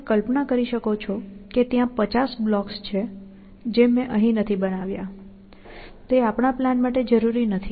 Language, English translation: Gujarati, You can imagine that there are 50 blocks, which I have not drawn here, which will not interfere with our plan